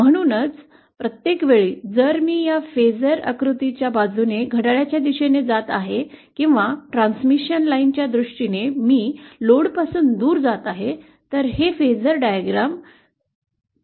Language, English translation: Marathi, So, everytime if I am moving in a clockwise direction along this phasor diagram or if in terms of transmission line I am moving away from the load, then that translates to a clockwise rotation on this phasor diagram